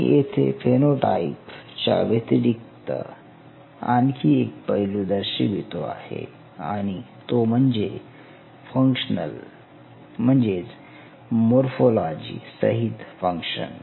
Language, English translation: Marathi, So, here apart from the phenotype I introduce another aspect which is called functional